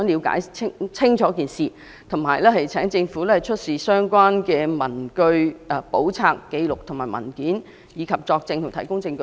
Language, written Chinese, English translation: Cantonese, 我們只想清楚了解事件，並請政府出示相關文據、簿冊、紀錄和文件，以及作證和提供證據。, We only want to find out more about the incident . Hence we ask the Government to produce all relevant papers books records or documents and to testify or give evidence